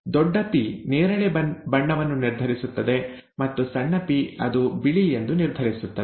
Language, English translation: Kannada, The P determines the purple and the small p determines whether it is white